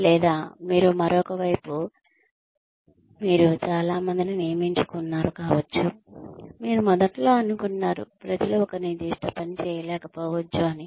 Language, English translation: Telugu, Or, you may, the other side of it, may be that, you hired a lot of people, who you think, you may have initially thought that, people may not be able to do a particular task